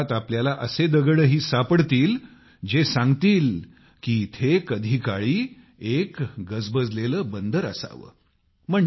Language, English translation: Marathi, You will find such stones too in thisvillage which tell us that there must have been a busy harbour here in the past